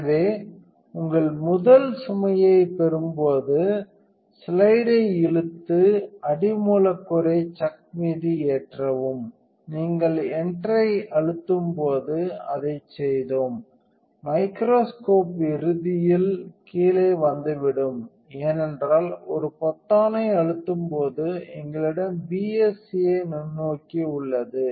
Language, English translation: Tamil, So, getting your first load it says pull slide and load substrate onto chuck, when you press enter we did that and the microscope will ultimately come down because we have the BSA microscope while a button off